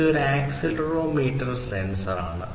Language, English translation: Malayalam, This is an accelerometer sensor, accelerometer